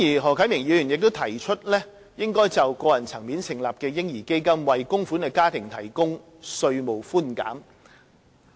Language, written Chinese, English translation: Cantonese, 何啟明議員亦提出應在個人層面成立的"嬰兒基金"，為供款的家庭提供稅務寬減。, Mr HO Kai - ming proposed that a baby fund should be set up at the personal level and that tax deduction be provided to families making contributions